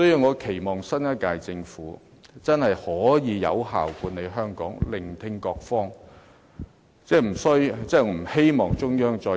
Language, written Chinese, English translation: Cantonese, 我期望新一屆政府真的可以有效地管理香港，多聆聽各方意見。, I hope the new Government can administer Hong Kong effectively and listen to more views from all walks of life